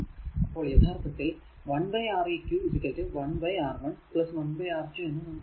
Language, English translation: Malayalam, So, basically it is R 1 into v upon R 1 plus R 2